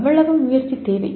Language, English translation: Tamil, That is how much effort is needed